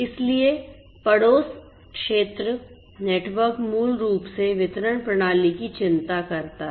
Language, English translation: Hindi, So, neighborhood area network basically just concerns the distribution the distribution system